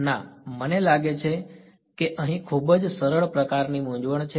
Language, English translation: Gujarati, No, I think these are very simple sort of confusion over here